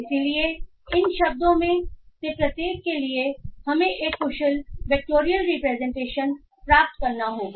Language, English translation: Hindi, So for each of this word we have to get an efficient vector representation or a vector representation